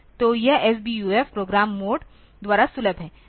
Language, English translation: Hindi, So, this SBUF is accessible by in the program mode